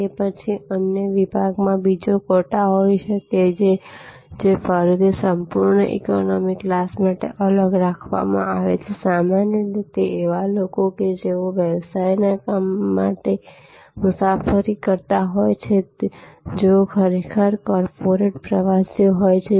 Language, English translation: Gujarati, Then, there can be another section another quota, which is set aside for a full fare economy again these are usually people who are traveling on business people who are actually on corporate travelers